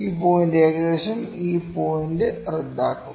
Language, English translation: Malayalam, This point would cancel this point approximately